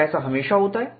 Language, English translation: Hindi, Is it always so